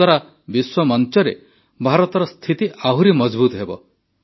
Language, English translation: Odia, This will further strengthen India's stature on the global stage